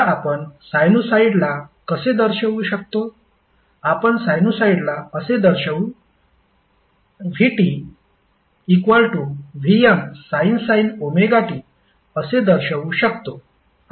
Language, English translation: Marathi, We represent sinusoid like vT is equal to vM sine omega T